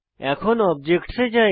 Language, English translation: Bengali, Let us move on to objects